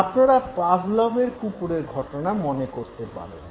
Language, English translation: Bengali, You remember Pavlov's dog